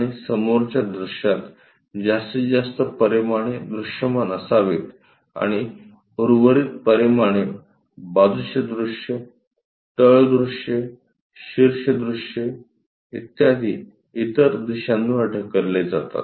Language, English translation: Marathi, And maximum dimensions supposed to be visible on the front view and remaining dimensions will be pushed on to other directions like side views, bottom views, top views and so on